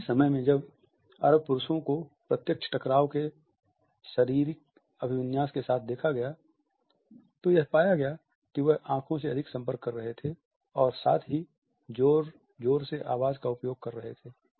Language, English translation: Hindi, At the same time Arab males were seen with the direct and confrontational types of body orientation, they also had a greater eye contact and were using louder voice